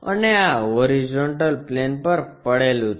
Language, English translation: Gujarati, And this is resting on horizontal plane